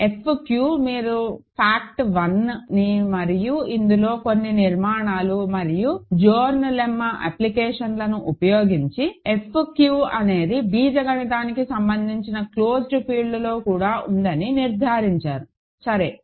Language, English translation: Telugu, F q you have to work and use the fact one and that involves some construction and applications of Zorn’s Lemma to conclude that F q is also contained in an algebraically closed field, ok